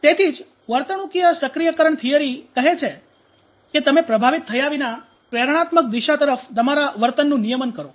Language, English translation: Gujarati, So that is why you know behavioral activation theory says that you regulate your behavior towards the motivational direction without getting affected